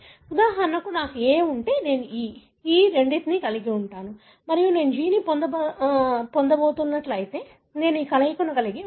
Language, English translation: Telugu, For example, if I have A, so I am going to have this, these two, right and if I am going to have G, then I am going to have this combination